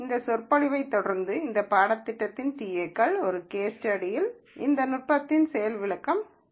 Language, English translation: Tamil, Following this lecture there will be a demonstration of this technique on an case study by the TAs of this course